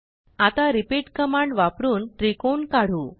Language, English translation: Marathi, Lets draw a triangle using repeat command